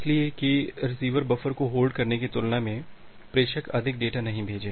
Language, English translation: Hindi, So, the sender should not send more data compared to the receiver buffer space